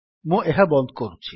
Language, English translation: Odia, Lets close this